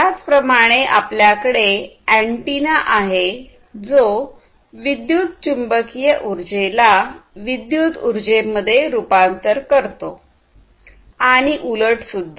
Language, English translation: Marathi, Similarly, we have antennas which will convert electromagnetic energy into electrical energy and vice versa